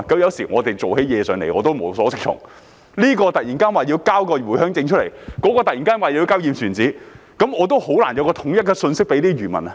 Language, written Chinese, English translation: Cantonese, 有時候我們辦事情也無所適從，這邊突然要求遞交回鄉證，那邊突然要求遞交"驗船紙"，我也難以有統一的信息給予漁民。, Sometimes we are at a loss as to what to do as one side suddenly requires the submission of the Home Visit Permit and the other side suddenly asks for the submission of the certificate of survey . I can hardly provide uniform information to the fishermen